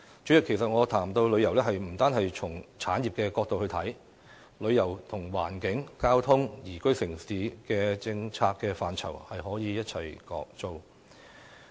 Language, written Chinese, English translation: Cantonese, 主席，我們不應單從產業的角度來看旅遊業，旅遊與環境、交通、宜居城市的政策範疇息息相關。, President we should not look at tourism only from an industry perspective for it is closely related to the policy areas covering the environment transport and the citys liveability